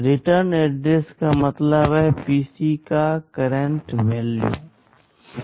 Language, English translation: Hindi, Return address means the current value of PC